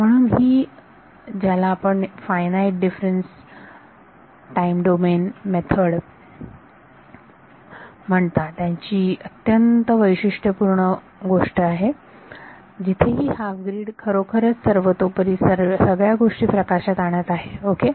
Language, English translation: Marathi, So, this is a very very characteristic thing of your what you call finite difference time domain method where, there is this half grid is really what is bringing everything out ok